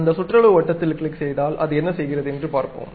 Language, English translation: Tamil, Let us click that perimeter circle and see what it is doing